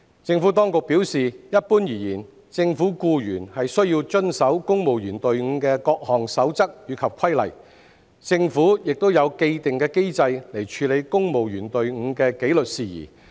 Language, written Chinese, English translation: Cantonese, 政府當局表示，一般而言，政府僱員須遵守公務員隊伍的各項守則及規例，政府亦有既定機制處理公務員隊伍的紀律事宜。, The Administration has advised that generally speaking government employees are subject to the rules and regulations of the civil service . There is also an established mechanism for handling disciplinary matters of the civil service